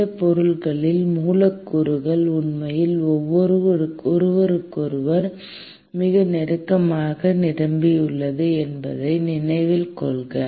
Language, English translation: Tamil, And note that in solids, the molecules are actually packed very close to each other